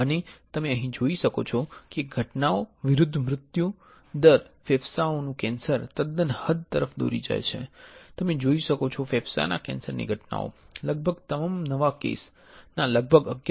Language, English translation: Gujarati, And you can see here that the incidence versus mortality the lung cancer leads to quite an extent you can see here incidence of lung cancer right 11